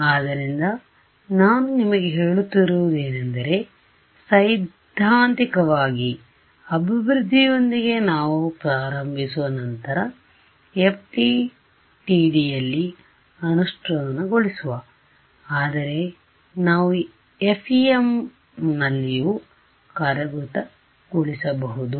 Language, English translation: Kannada, So, what I am telling you we will start with the theoretical development then implementation in FDTD, but we could also implement in FEM right